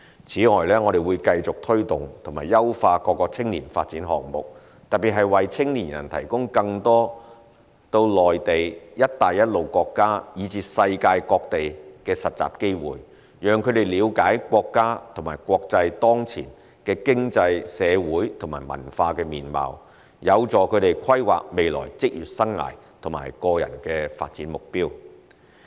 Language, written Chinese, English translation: Cantonese, 此外，我們會繼續推動及優化各個青年發展項目，特別是為青年人提供更多到內地、"一帶一路"國家以至世界各地的實習機會，讓他們了解國家和國際當前的經濟、社會和文化面貌，有助他們規劃未來職業生涯和個人發展目標。, Furthermore we will continue to take forward and enhance various youth development programmes . In particular more internship opportunities in the Mainland the Belt and Road countries and other parts of the world will be provided for young people so as to enable their understanding of the prevailing economic social and cultural landscape at the national and international levels which will assist their future career planning and personal development goal setting